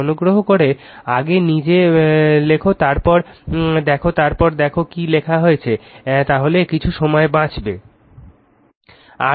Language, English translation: Bengali, So, please write yourself first, then you see this then you see what have been written then some time will be save right